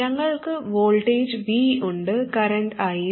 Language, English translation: Malayalam, We have the voltage V in the current I